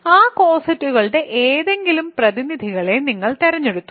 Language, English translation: Malayalam, You picked any representatives of those cosets